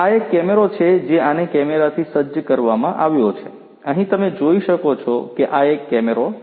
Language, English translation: Gujarati, This is a camera this is fitted with a camera, you know over here as you can see this is a camera